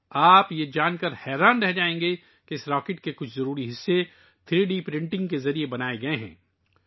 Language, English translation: Urdu, You will be surprised to know that some crucial parts of this rocket have been made through 3D Printing